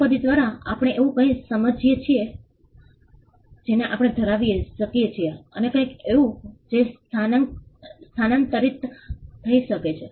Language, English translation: Gujarati, By property we understand as something that can be possessed, and something that can be transferred